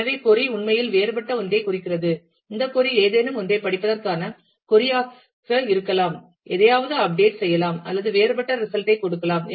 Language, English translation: Tamil, So, that the query actually mean something different, this query may be which was just a query to read something, may update something, or give some different result